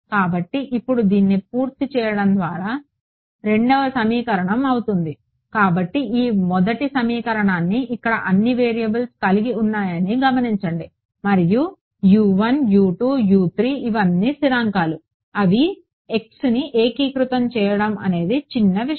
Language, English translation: Telugu, So, now, having done this the second equation becomes, so notice this 1st equation over here what all variables does it have U 1 U 2 U 3 and they are all constants that are a function of x integrating them is trivial